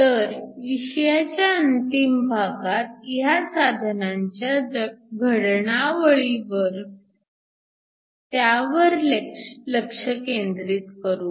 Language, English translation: Marathi, So, in the last part of the course, we are going to focus on fabrication of these devices